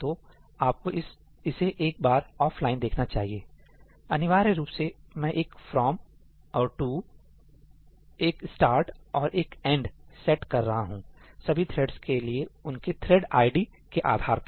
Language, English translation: Hindi, So, you can have a look at it offline; essentially all I am doing is that setting a ëfromí and a ëtoí, a ëstartí and a ëendí for every thread based on its thread id